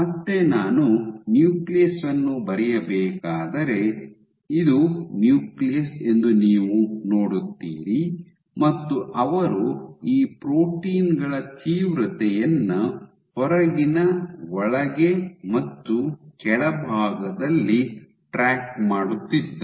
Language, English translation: Kannada, So, again if I were to just draw the nucleus, you see this is my nucleus they were tracking outside inside and bottom intensity of these proteins